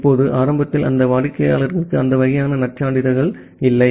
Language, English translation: Tamil, Now, initially that client does not have those kinds of credentials